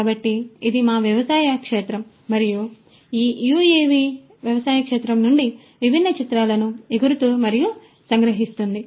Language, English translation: Telugu, So, this is our agricultural field and it is being you know this UAV is flying and capturing the different images from this agricultural field